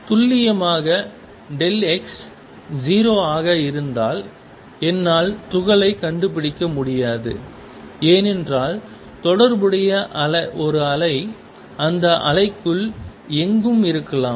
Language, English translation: Tamil, I cannot locate the particle precisely with delta x being 0, because there is a wave associated could be anywhere within that wave